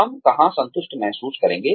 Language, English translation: Hindi, Where will we feel satisfied